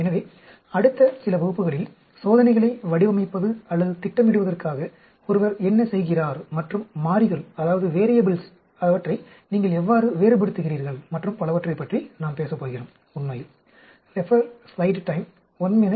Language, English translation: Tamil, So, we are going to talk about in the next few classes, how one goes about designing or planning the experiments and how do you vary the variables and so on, actually